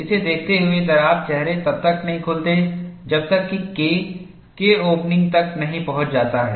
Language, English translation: Hindi, In view of this, the crack faces do not open, until K reaches K opening